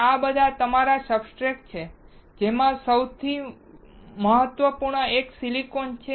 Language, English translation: Gujarati, So, all these are your substrate, with the most important one is silicon